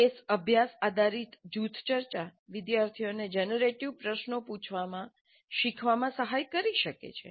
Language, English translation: Gujarati, Case study based group discussions may help students in learning to ask generative questions